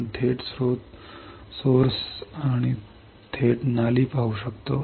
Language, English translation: Marathi, We can directly see source; we can directly see drain